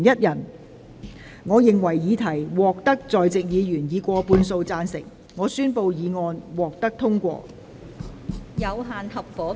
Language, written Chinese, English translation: Cantonese, 由於議題獲得在席議員以過半數贊成，她於是宣布議案獲得通過。, Since the question was agreed by a majority of the Members present she therefore declared that the motion was passed